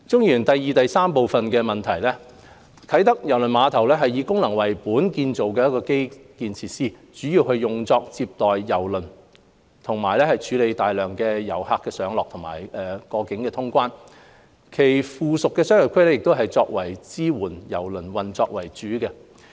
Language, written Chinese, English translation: Cantonese, 二及三啟德郵輪碼頭是以功能為本建造的基建設施，主要用作接待郵輪和處理大量遊客上落及過境通關，其附屬商業區亦以支援郵輪運作為主。, 2 and 3 KTCT is a purpose - built infrastructure for berthing of cruise ships and handling large number of cruise passengers in immigration and customs control . The ancillary commercial area is also mainly for supporting cruise operation